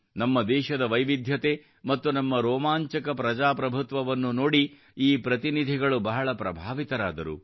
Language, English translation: Kannada, These delegates were very impressed, seeing the diversity of our country and our vibrant democracy